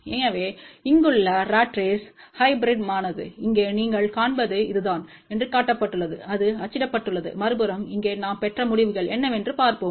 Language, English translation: Tamil, So, the ratrace hybrid over here is shown this is what you see over here, that is printed on the other side so, let us see what are the results we got over here